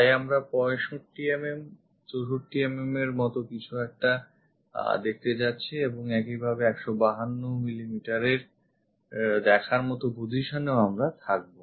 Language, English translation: Bengali, So, in that we are going to see something like 65 mm, 64 mm and also we will be in a position to see that 152 mm